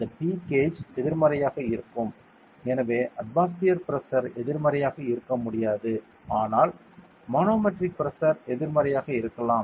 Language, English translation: Tamil, This P gauge will be negative so the manometric pressure can be negative while the atmospheric pressure cannot be negative ok